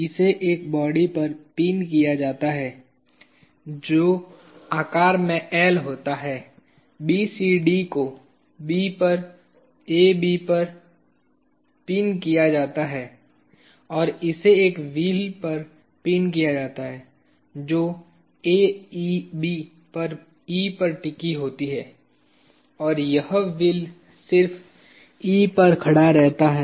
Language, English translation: Hindi, It is pinned to a body which is L in shape, BCD pinned to AB at B and it is pinned to a wheel which is resting on AEB at E and this wheel is just, it is just standing at E